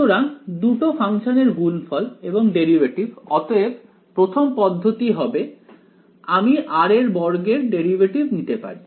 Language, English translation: Bengali, So, two functions product of two functions and derivative right; so the first term will be so I can take the derivative of r square right